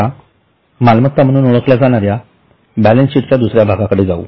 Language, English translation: Marathi, Now let us go to the second part of balance sheet that is known as assets